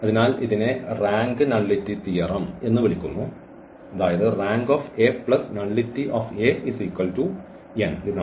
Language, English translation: Malayalam, So, this is called the rank nullity theorem, rank of a plus nullity of A is equal to n